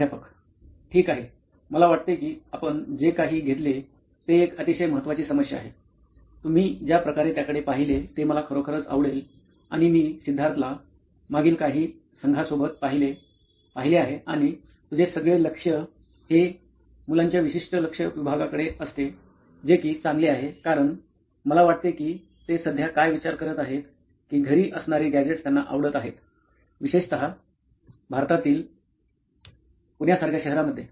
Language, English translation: Marathi, Okay, I think what you have taken is a very responsible sort of problem, I really like the way you looked at it and I have seen you Siddharth from the past entire team is that your focus on these specific target segment of children in the age that you mentioned is good, because I think what they are currently facing right now is the cusp of where at home they like these gadgets, particularly city like Pune in India, I think they have access to gadgets at home, they like it, they know how it is, they are wizard they are in fact better than their moms and dads